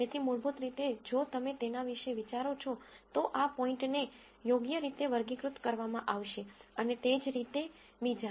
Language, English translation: Gujarati, So, basically if you think about it, this point would be classified correctly and so on